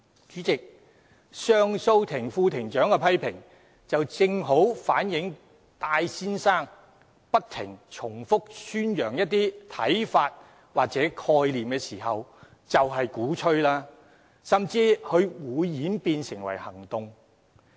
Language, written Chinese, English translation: Cantonese, "主席，上訴法庭副庭長的批評，正好反映戴先生不斷重複宣揚一些看法或概念時，其實便是鼓吹，甚至會演變成行動。, The comments made by the Vice - President of the Court of Appeal of the High Court aptly show that Mr TAIs repeated propagation of certain ideas or concepts is indeed an advocacy that may even turn into action